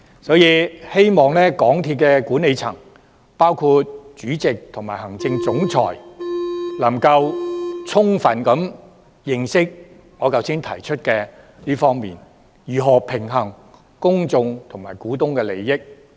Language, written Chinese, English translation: Cantonese, 所以，希望港鐵公司管理層，包括主席及行政總裁，能夠充分理解我剛才提出的這一點，要認識如何平衡公眾及股東的利益。, I thus hope that the management of MTRCL including the Chairman and the Chief Executive Officer can fully understand the view that I just put forward and know how to balance public interests and the interests of shareholders